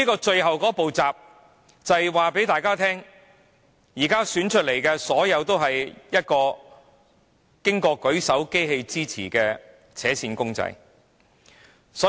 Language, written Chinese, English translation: Cantonese, 最後一道閘讓大家知道，當選的任何人皆只是得到"舉手機器"支持的扯線公仔而已。, The last barrier lets us know that whoever is elected is just a string puppet with only the support of the voting machine